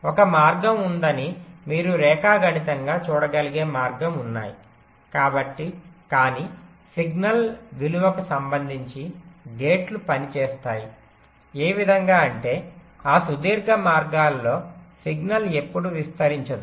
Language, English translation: Telugu, there are path which geometrically you can see there is a path, but with respect to the signal value the gates will work in such a way that signal will never propagate along those long paths